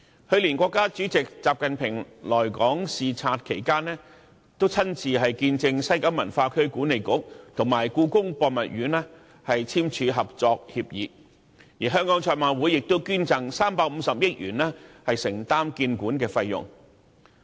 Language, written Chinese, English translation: Cantonese, 去年，國家主席習近平來港視察期間，親自見證西九文化區管理局及故宮博物院簽署合作協議，而香港賽馬會亦捐贈350億元以承擔建館費用。, During his visit to Hong Kong last year President XI Jinping witnessed WKCDA and the Palace Museum signing a collaboration agreement . Also the Hong Kong Jockey Club has donated HK35 billion to pay for the costs of constructing the museum